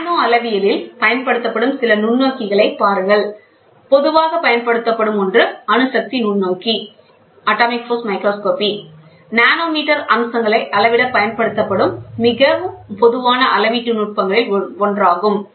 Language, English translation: Tamil, See some of the microscopes which are used in nanometrology one very commonly used one is atomic force microscopy; is one of the most common measurement techniques which are used to measure nanometer features